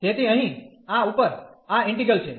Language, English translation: Gujarati, So, here this integral over this